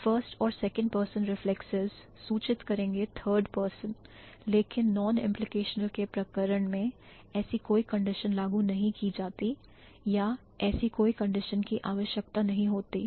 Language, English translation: Hindi, The reflexives in the first and second person would imply the third person, but in case of non implicational, no such condition is applied or no such condition is required